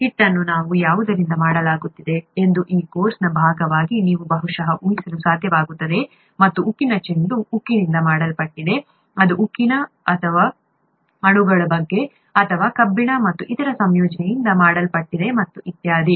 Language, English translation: Kannada, Dough is made up of something which we will, which you will probably be able to guess as a part of this course and steel ball is made up of steel, it is made up of steel molecules or iron plus other combination and so on and so forth